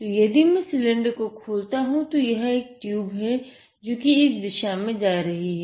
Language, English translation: Hindi, So, if I open the cylinder, a tube is moving in this direction like this, how can you maneuver it